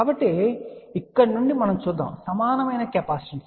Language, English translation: Telugu, So, let us see from here we can say the equivalent capacitance